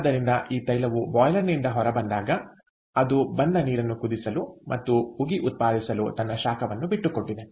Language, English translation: Kannada, so this oil, when it comes out of the boiler, it has given up its heat to the for, for boiling the water that came in and generating the steam